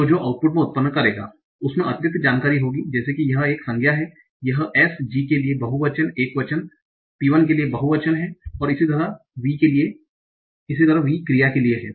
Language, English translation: Hindi, So the output that I will generate will contain additional information like this is a noun, this is a singular, as G for singular, PL for plural, and V for verb like that